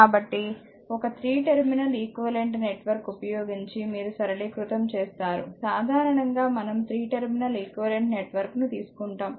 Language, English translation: Telugu, So, you have to simplify by using a 3 terminal equivalent network right generally we will consider 3 terminals equivalent network for example, your this thing just hold on for this one